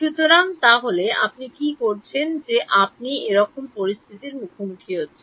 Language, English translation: Bengali, So, so what you do in you have faced with such a situation